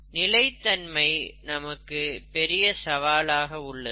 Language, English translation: Tamil, Sustainability, it's a very big aspect nowadays